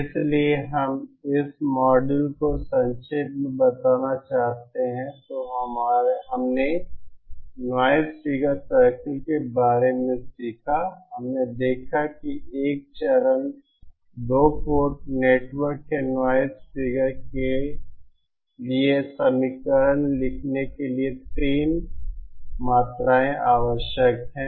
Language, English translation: Hindi, so if we just want to summarize this module in this module we learnt about the noise figure circles, we saw that there are 3 quantities which are needed to characterize to write an equation for the noise the figure of a of a stage 2 port network